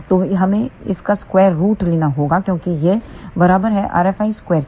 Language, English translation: Hindi, So, we have to take square root of that because this is equal to r F i square